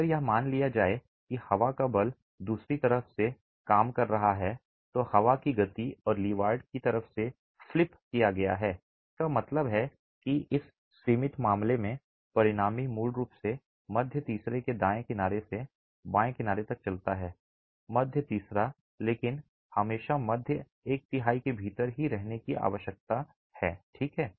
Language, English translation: Hindi, If I were to assume that the wind force is acting from the other side that the windward and the leeward sides were flipped, it means that the resultant in this limiting case basically moves from this right edge of the middle third to the left edge of the middle third but always needs to remain within the middle 1 third